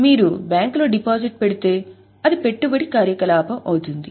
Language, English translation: Telugu, If you are putting a deposit in a bank it will be an investing activity